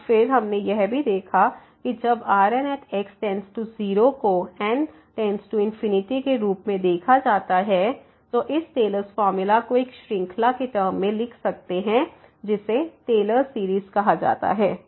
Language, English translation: Hindi, And then we have also observed that when the remainder term goes to 0 as goes to infinity, then we can write down this Taylor’s formula as in the terms of a series which is called the Taylor series